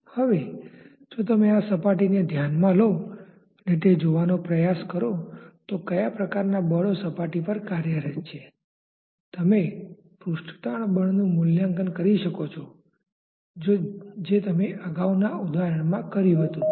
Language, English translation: Gujarati, Now, if you consider this surface and try to see that, what are the different types of forces which are acting on the surface, you may evaluate the surface tension force just like what you did in the previous example